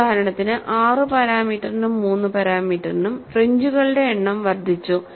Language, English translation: Malayalam, For example, for the 6 parameter and 3 parameter, the numbers of fringes have increased